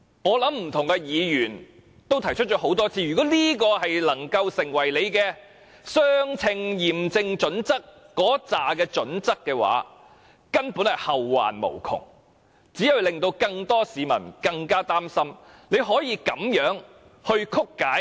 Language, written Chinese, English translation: Cantonese, 我想不同的議員已多次提出，如果這樣也能符合相稱驗證準則，將會後患無窮，只會令更多市民更加擔心，《基本法》竟然會被如此曲解。, I think different Members have pointed out time and again that if even this could satisfy the proportionality test it would be opening a Pandoras box and arousing greater public concern as the Basic Law has been distorted in that way